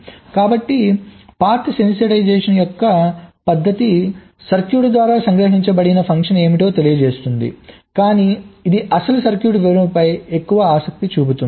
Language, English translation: Telugu, so the method of path sensitization is least bothered about what is the function that is realized by the circuit, but it is more interested in the actual circuit description